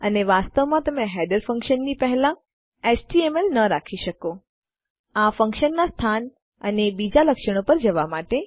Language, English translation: Gujarati, And you cant actually put html before a header function, going to location and other features of this function